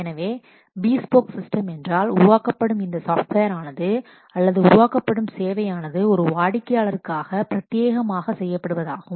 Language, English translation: Tamil, So, the bespoke system means this software they will be created or the facility, the service that will be created specially for one customer